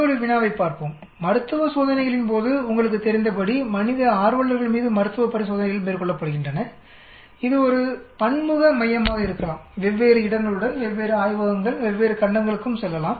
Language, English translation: Tamil, Let us look at another problem, during clinical trials as you know clinical trials are carried out on human volunteers, it could be a multicentric, multi with different locations, different labs, it can even go different continents also